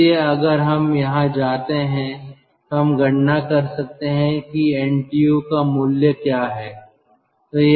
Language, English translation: Hindi, so from there, if we come here, we can calculate what is the value of ntu